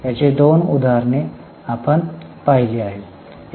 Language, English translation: Marathi, We had seen two examples of this